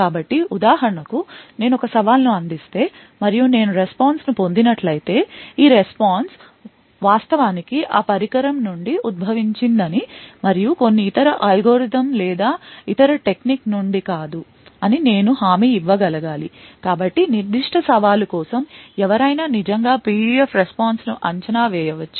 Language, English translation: Telugu, So, for example, if I provide a challenge and I obtain a response I should be guaranteed that this response is actually originated from that device and not from some other algorithm or some other technique, So, someone could actually predict the response for the PUF for that particular challenge